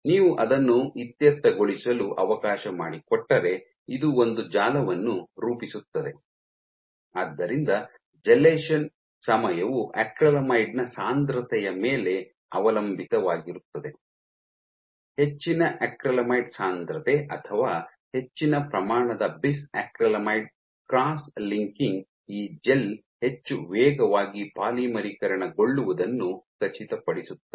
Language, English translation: Kannada, So, if you let it sit this will form a network so the gelation time is dependent the concentration of acrylamide, so higher concentration of acrylamide will typically help our higher concentration of acrylamide or bis acrylamide